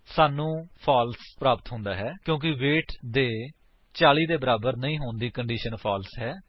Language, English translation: Punjabi, We get a false because the condition weight not equal to 40 is false